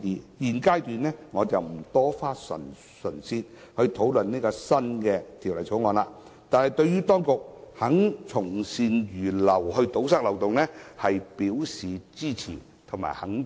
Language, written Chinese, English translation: Cantonese, 我在現階段不會就《第2號條例草案》作詳細討論，但對於當局肯從善如流堵塞漏洞，我表示支持和肯定。, I will not discuss the No . 2 Bill in detail at this stage but I support and recognize the Administrations willingness to follow good advice to plug the loopholes